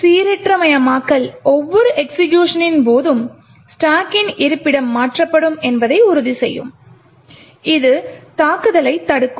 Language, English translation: Tamil, The randomization would ensure that the location of the stack would be changed with every execution and this would prevent the attack